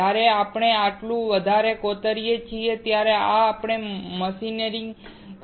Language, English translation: Gujarati, When we etch this much, we are machining